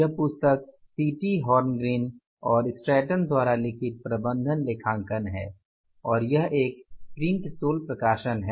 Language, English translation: Hindi, The book is Management Accounting by the CT Horn Green and Stanton and it is the Prentice Hall publication